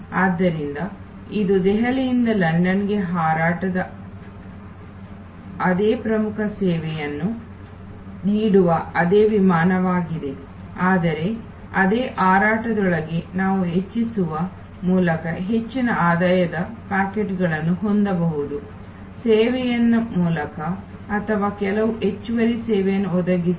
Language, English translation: Kannada, So, it is the same flight offering the same core service of a flight from Delhi to London, but within that same flight we can have pockets of much higher revenue by enhancing the service or providing some additional service